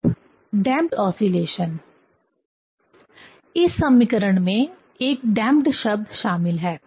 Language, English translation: Hindi, Now damped oscillation: in this equation one damped term is included